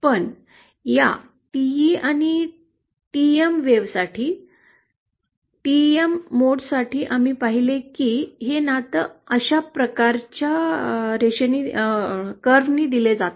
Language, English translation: Marathi, But for this TE and TM wave, TM modes, we saw that the relationship is given by this kind of a line